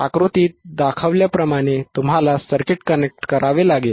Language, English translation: Marathi, You have to connect the circuit as shown in figure